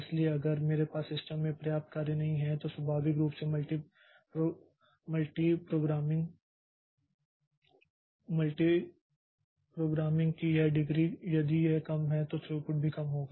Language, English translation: Hindi, So, if I don't have enough job in the system then naturally this degree of multi programming if it is low then the throughput will also be low